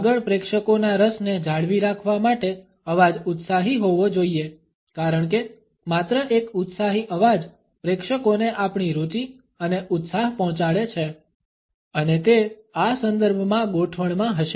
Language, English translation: Gujarati, Further in order to maintain the interest of the audience the voice should be enthusiastic because only an enthusiastic voice would convey our interest and excitement to the audience and it would be in fixtures in this context